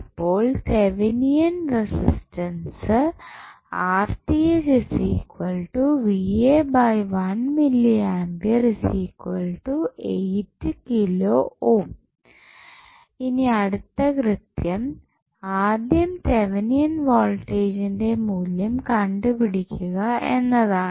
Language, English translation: Malayalam, Now, the next task would be the finding out the value of Thevenin voltage